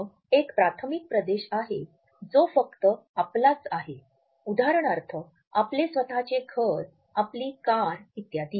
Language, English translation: Marathi, Then there is a primary territory which obviously, belongs to us only for example, our own home, our car also